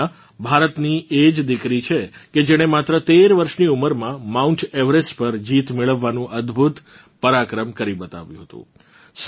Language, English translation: Gujarati, Poorna is the same daughter of India who had accomplished the amazing feat of done a conquering Mount Everest at the age of just 13